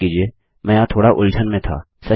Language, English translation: Hindi, Sorry I was a bit confused there